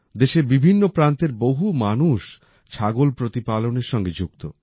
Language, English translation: Bengali, Many people in different areas of the country are also associated with goat rearing